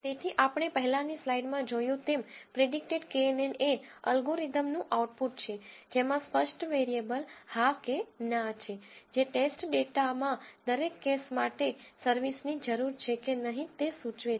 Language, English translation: Gujarati, So, as we have seen in the earlier slide, predicted knn is the output from the algorithm, which has categorical variable yes or no indicating whether service is needed or not for each case in the test data